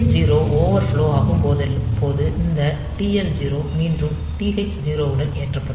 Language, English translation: Tamil, So, this when this TL0 overflows, then this TL0 will be loaded again with the TH0